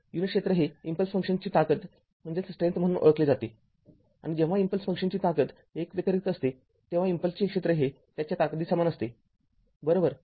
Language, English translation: Marathi, The unit area is known as the strength of the impulse function and when an impulse function has a strength other then unity, the area of the impulse is equals to it is strength right